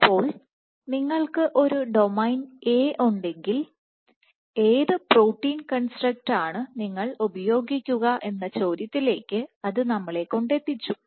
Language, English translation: Malayalam, So, that brought us to the question that if you have a domain A what protein construct would you use, would you use just A, A A or so on and so forth